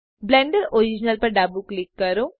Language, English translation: Gujarati, Left click Blender original